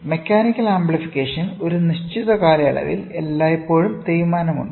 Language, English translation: Malayalam, Mechanical amplification, over a period of time there is always a wear and tear